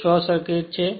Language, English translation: Gujarati, It is a short circuit